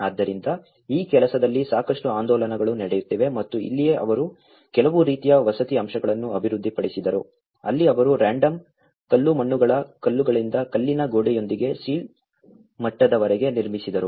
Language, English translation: Kannada, So, there is lot of movement is going on in this work and this is where they also developed some kind of residential aspects of it that is where they built till the sill level with the stone wall with a random, rubble masonries